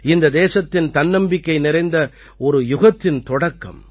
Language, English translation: Tamil, This is the beginning of a new era full of selfconfidence for the country